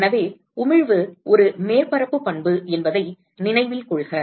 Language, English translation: Tamil, So, note that emissivity is a surface property